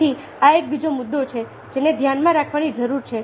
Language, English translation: Gujarati, so this is another issue that needs to be kept in mind